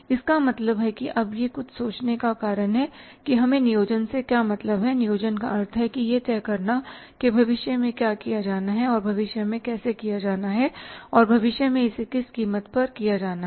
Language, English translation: Hindi, It means this is now the cause of concern because what do we mean by planning planning means deciding what is to be done in future how is to be done in future and at what cost it is to be done in future